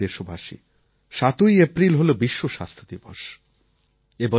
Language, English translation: Bengali, My dear fellow citizens, the World Health Day is on 7th April